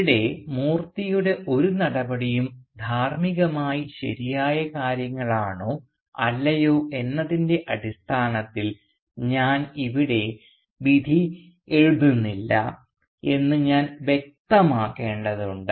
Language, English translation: Malayalam, But here I need to clarify that I am not judging any of Moorthy's actions here in terms of whether they were morally the right things to do or not